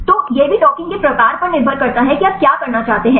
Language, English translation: Hindi, So, that also depends upon the type of docking what do you want to do